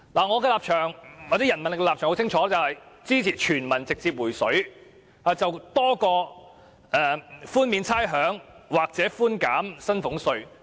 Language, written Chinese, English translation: Cantonese, 我和人民力量的立場很清晰，就是支持全民直接"回水"多於支持寬免差餉或寬減薪俸稅。, The stance of the People Power and I is very clear we prefer a direct refund to all people to the provision of rates concession or reduction in salaries tax